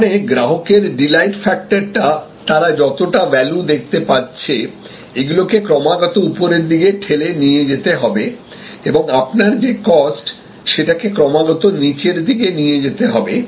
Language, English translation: Bengali, That means, the delight factors of the customers, the value perceived by the customer, should be constantly pushed upwards and your cost should be constantly pushed downwards